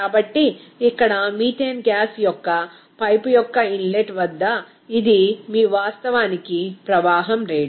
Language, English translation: Telugu, So, this is your actually flow rate at the inlet of the pipe of the methane gas here